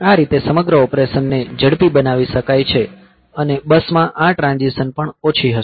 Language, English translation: Gujarati, So, that is how the whole operation can be made faster, and these transitions on the buses will also be less